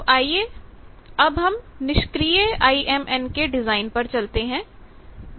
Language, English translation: Hindi, Now, let us come to the passive IMN design